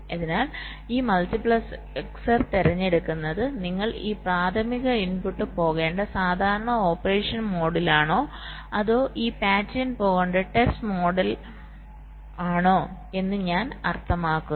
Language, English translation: Malayalam, so this multiplexor will be selecting whether i mean you are in the normal mode of operation, where this primary input should go in, or you are in the test mode where this pattern should go in